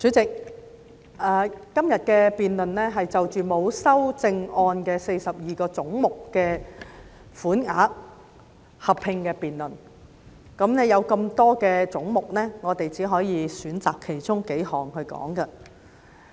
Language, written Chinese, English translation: Cantonese, 主席，今天的合併辯論是就着沒有修正案的42個總目的款額納入附表，但由於總目眾多，我們只能選擇其中數個來討論。, Chairman this joint debate today is on the sums for the 42 heads with no amendment standing part of the Schedule . Since there are many heads we can only choose a few for discussion